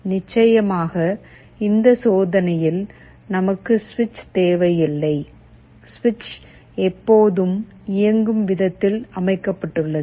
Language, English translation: Tamil, Of course we will not be requiring the switch in this experiment, this switch will be always on